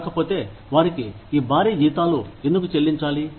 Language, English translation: Telugu, If not, then, why should they be paid, these heavy salaries